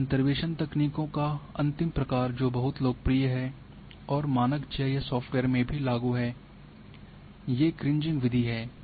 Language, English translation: Hindi, Now the last type of these interpolation techniques which is very very popular and had been implemented into standard GIS softwares is Kriging method